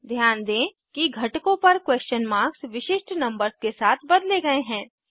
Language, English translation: Hindi, Notice that the question marks on the components are replaced with unique numbers